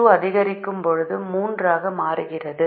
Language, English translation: Tamil, now, as we increase x one